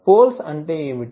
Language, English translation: Telugu, What do you mean by poles